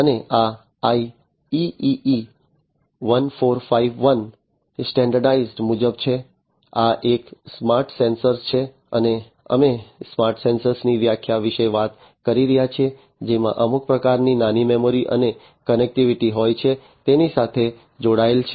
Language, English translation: Gujarati, And this is as per the IEEE 1451 standard, so this is a smart sensor and we are talking about the definition of a smart sensor having some kind of small memory and some connectivity, you know, attached to it